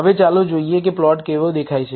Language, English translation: Gujarati, Now, let us see how the plot looks